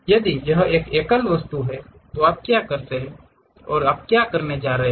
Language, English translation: Hindi, If it is one single object, what you are going to prepare